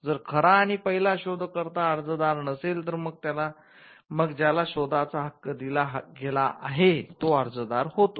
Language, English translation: Marathi, In case the true and first inventor is not the applicant, then the person to whom the invention is assigned becomes the applicant